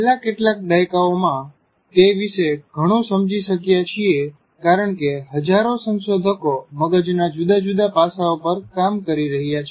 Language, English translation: Gujarati, In the last several decades, there is a lot more that has been understood because thousands and thousands of researchers are working on various facets of the brain